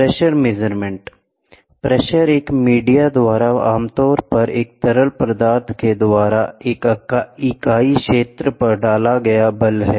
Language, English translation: Hindi, Pressure measurement, pressure is force exerted by a media usually a fluid or a unit area